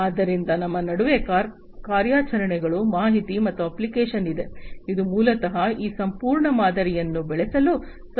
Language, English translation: Kannada, So, in between we have the operations, information, and application, which will basically help in grewing up this entire model